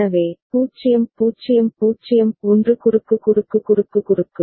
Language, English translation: Tamil, So, 0 0 0 1 cross cross cross cross